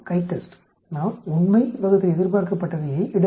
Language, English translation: Tamil, CHITEST, we have to put the actual divided by expected